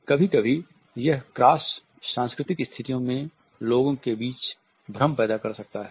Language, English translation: Hindi, Sometimes it may generate confusions among people in cross cultural situations